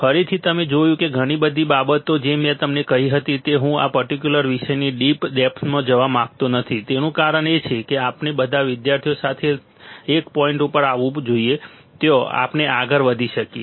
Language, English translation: Gujarati, Again you see that a lot of things I told you that I do not want to go into deep depth of this particular topic the reason is that we have to take all the students together and come toward come to a point there we can advance further there we can advance for that